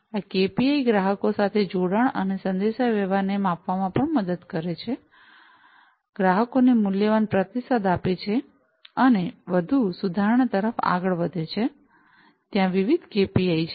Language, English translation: Gujarati, These KPIs also help measure the connectivity and communication with customers, providing valuable feedback to the customers, and driving towards further improvement; so there are different KPIs